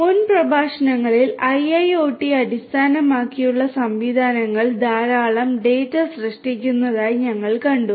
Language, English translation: Malayalam, In the previous lectures we have seen that IIoT based systems generate lot of data